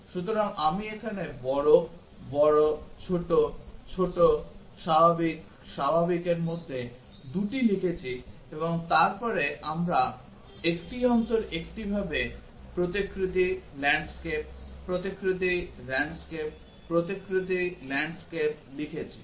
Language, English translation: Bengali, So, I have written 2 of these here large, large, small, small, normal, normal and then this we have written alternatively portrait, landscape, portrait, landscape, portrait, landscape